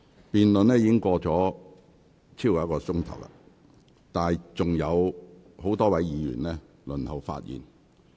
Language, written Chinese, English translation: Cantonese, 辯論已進行超過1小時，但仍有多位議員輪候發言。, The debate has conducted for over an hour but many Members are still waiting for their turn to speak